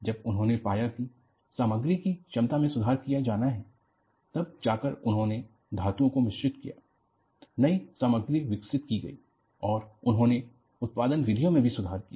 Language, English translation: Hindi, When they find that, strength of the material has to be improved, they went in for alloying the materials and new materials is developed and they also improved the production methods